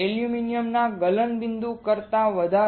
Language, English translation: Gujarati, Greater than the melting point of aluminum